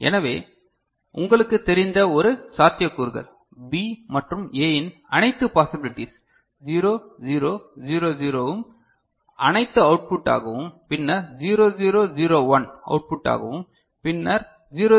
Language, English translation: Tamil, So, one possibilities for you know, four possible cases of B and A 0 0 0 0 as all output, then 0 0 0 1 as all output ok, then 0 0 1 0, 0 0 1 1